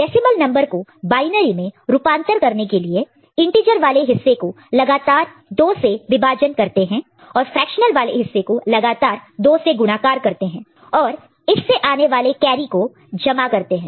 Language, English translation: Hindi, To convert the decimal to binary, integer is successively divided by 2 and remainders accumulated; and for converting the fraction, it is successfully multiplied by 2 and carry is accumulated